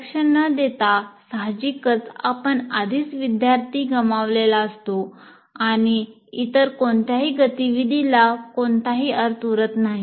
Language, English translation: Marathi, And without attention, obviously, you already lost the student and none of the other activities will have any meaning